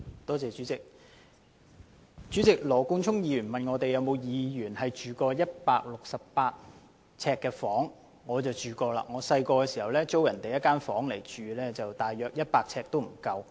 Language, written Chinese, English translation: Cantonese, 代理主席，羅冠聰議員問有否議員曾居於138平方呎的房屋，我想說我小時候曾租住一間不足100平方呎的房間。, Deputy President in response to Mr Nathan LAWs question on whether any Members have lived in flats with an area of 138 sq ft I would like to say that I lived in a rented flat with an area of less than 100 sq ft when I was small